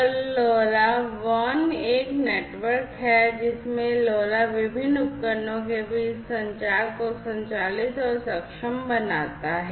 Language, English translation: Hindi, And LoRa WAN is a network in which LoRa operates and enables communication between different devices